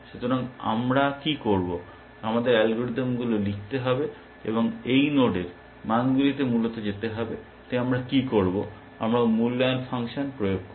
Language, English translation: Bengali, So, what do we do, we have to write algorithms, to go values to this nodes essentially, so what do we do, we apply evaluation function